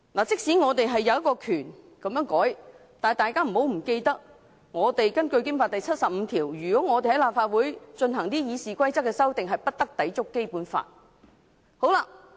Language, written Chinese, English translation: Cantonese, 即使我們有權這樣修改，但請大家不要忘記，根據《基本法》第七十五條，我們對立法會《議事規則》所作的修訂，也不得抵觸《基本法》。, Even if we are entitled to make such a change Members should not forget that under BL 75 our amendments to Legislative Councils RoP should not contravene the Basic Law